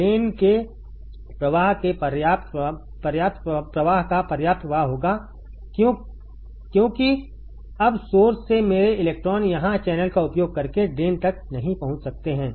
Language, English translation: Hindi, There will be sufficient flow of current sufficient flow of drain current why because now my electrons from source cannot reach to drain using the channel here